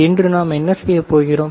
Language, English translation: Tamil, So, what we will do today